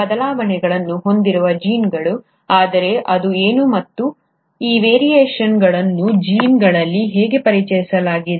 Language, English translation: Kannada, It is the genes which carry these variations, but, what is it and how are these variations introduced into these genes